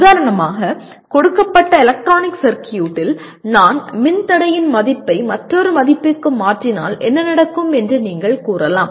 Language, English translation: Tamil, For example in a given electronic circuit you can say if I change the resistor value to another value what happens